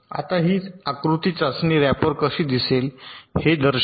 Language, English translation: Marathi, now this diagram shows how the test rapper will looks like